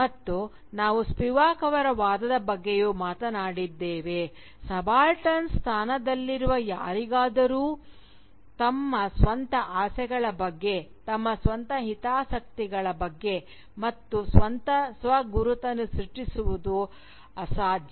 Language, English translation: Kannada, And, we had also talked about Spivak's argument, that for someone within the position of subalternity, it is impossible to generate discourse about one's own desires, about one's own interests and indeed about one's own self identity